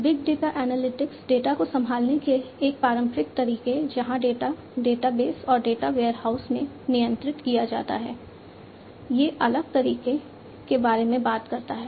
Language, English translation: Hindi, Big data analytics talks about a different way of handling data from the conventional way, data are handled in databases and data warehouses